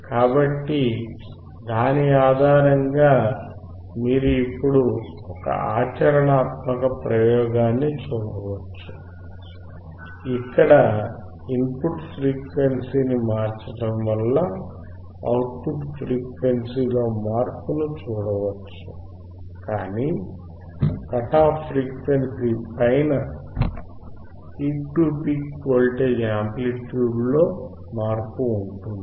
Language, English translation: Telugu, So, based on that you now can see a practical experiment, where changing the input frequency we can see the change in output frequency, but above the cut off frequency there is a change in the amplitude peak to peak voltage